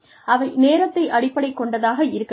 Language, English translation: Tamil, There, they should be time based, there should be a timeline